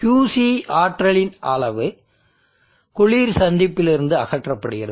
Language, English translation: Tamil, Let us say Qc amount of energy is removed from the cold junction